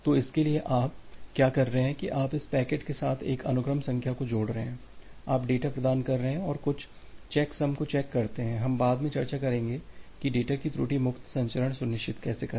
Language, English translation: Hindi, So, for that what you are doing that you are appending one sequence number with this packet you are providing the data and some checks some checksum, we will discuss later on to ensure the error free transmission of the data